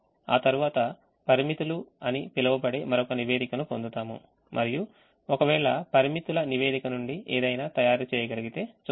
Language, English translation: Telugu, we solve this one one more time and then we get another report called limits and let's see if something can be made out of the limits report